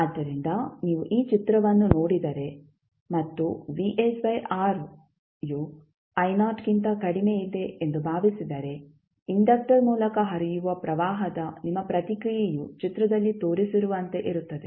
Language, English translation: Kannada, So, if you see this particular figure and suppose vs by r is less than I naught so your response of the current across flowing through the inductor would be as shown in the figure